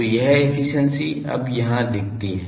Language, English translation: Hindi, So, this efficiency is now shown to these